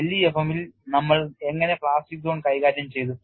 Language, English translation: Malayalam, How did we handle plastic zone in LEFM